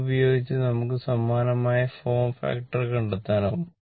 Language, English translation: Malayalam, So, similarly form factor you can find out